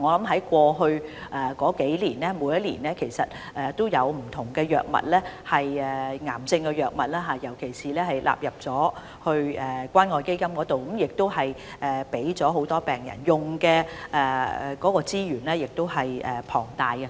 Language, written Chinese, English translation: Cantonese, 在過去數年，其實每年也有不同藥物，尤其是治療癌症的藥物，納入關愛基金，並提供給很多病人使用，動用了龐大資源。, In fact different drugs especially drugs for cancers have been brought annually under CCF in the past few years using substantial resources and many patients have used the drugs